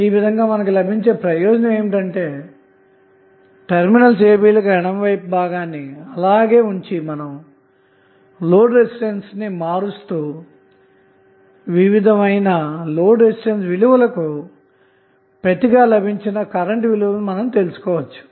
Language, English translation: Telugu, So in this way the benefit which you will get is that you will keep the left of this particular segment, the left of the terminal a b same and you will keep on bearing the load resistance and you can find out the value of load current when various load resistances are given